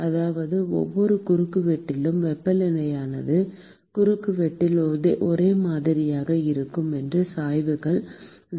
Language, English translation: Tamil, ; that means, that at every cross section, I assume that the temperature is uniform in the cross section and the gradients are 0